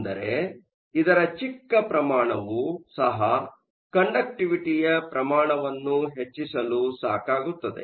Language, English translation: Kannada, And, even the small amount was enough to increase conductivity by orders of magnitude